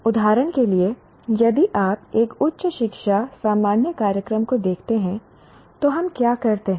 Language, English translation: Hindi, For example, if you look at a higher education general program, what do we do